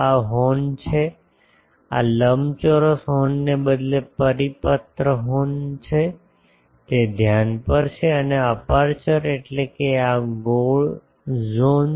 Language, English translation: Gujarati, This is the horn this is the circular horn instead of a rectangular horn, it is at the focus and aperture means this circular zone